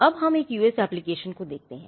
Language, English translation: Hindi, Now, let us look at an Indian application